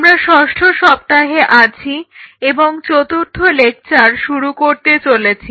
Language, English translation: Bengali, So, we are into the week 6 and we are starting our fourth lecture